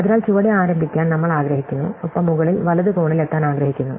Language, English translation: Malayalam, So, we want to start at the bottom and we want to reach the top right corner